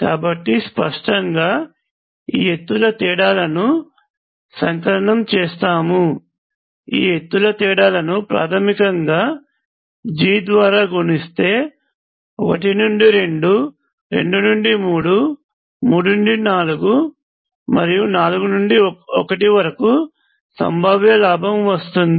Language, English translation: Telugu, So obviously, if you sum these gain in heights which are basically stands in for gain in potentials if I multiply this by g, I will have potential gain from 1 to 2, 2 to 3, 3 to 4, and 4 to 1